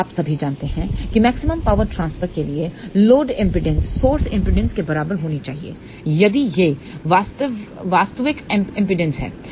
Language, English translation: Hindi, So, you all know that for maximum power transfer, load impedance should be equal to source impedance if it is real impedance